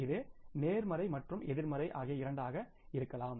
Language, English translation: Tamil, It can be both positive or negative